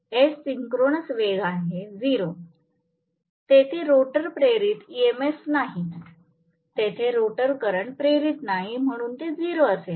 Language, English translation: Marathi, S is 0 synchronous speed, there is no rotor induced EMF, there is no rotor induced current, so obviously Te will be 0 right